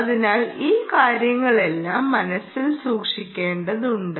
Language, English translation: Malayalam, so all these things will have to be born in mind